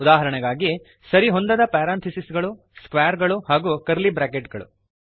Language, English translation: Kannada, For Example: Unmatched parentheses, square and curly braces